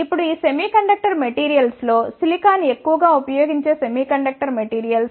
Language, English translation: Telugu, Now, among these semiconductor materials silicon is the most widely used semiconductor materials